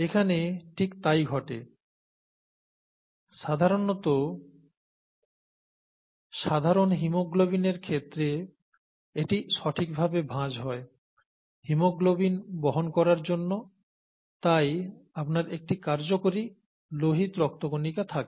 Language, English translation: Bengali, And that is what happens here, in the case of normal haemoglobin it folds properly to carry haemoglobin and you have a functional red blood cell